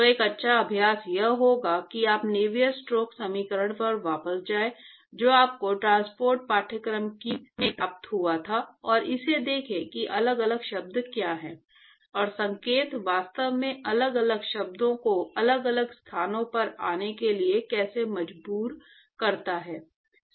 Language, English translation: Hindi, So, a good exercise would be to go back to Navier stokes equation that was derived to you in transport course and stare at it and see what are the different terms and how does the sign actually forces the different terms to come in different locations in the equation